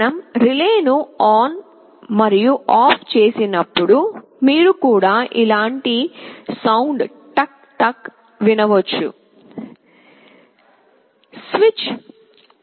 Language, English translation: Telugu, When we switch a relay ON and OFF, you can also hear a sound tuck tuck tuck tuck like this